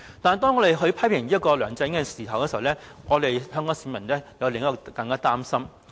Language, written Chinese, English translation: Cantonese, 但是，當我們批評梁振英的同時，香港市民卻有另一種擔心。, But as we criticize LEUNG Chun - ying Hong Kong people also have another worry